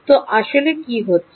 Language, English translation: Bengali, so what is actually happening